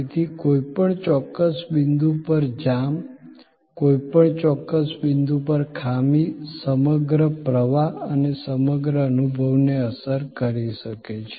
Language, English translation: Gujarati, Therefore, a jam at any particular point, a malfunction at any particular point can affect the whole flow, the whole experience